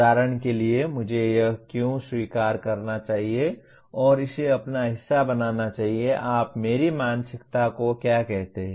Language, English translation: Hindi, For example why should I accept this and make it part of my, what do you call my mindset